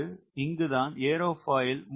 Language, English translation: Tamil, that is where the aerofoil plays important role